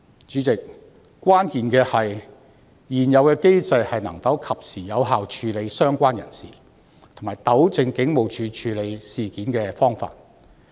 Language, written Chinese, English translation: Cantonese, 主席，關鍵的是，現有機制能否及時有效處理相關人士，以及糾正警務處處理事件的方法。, Chairman the key is whether the existing mechanism can deal with the people concerned in a timely and effective manner and make corrections to the practices of HKPF